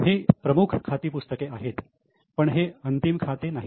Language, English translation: Marathi, These are the major books of accounts